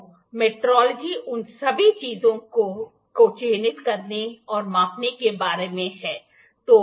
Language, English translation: Hindi, So, metrology is all about marking, measuring all those things